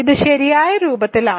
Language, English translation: Malayalam, It is of the correct form